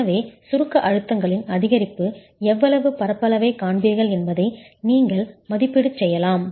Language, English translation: Tamil, So you can make an estimate over how much area would you see an increase in the compressive stress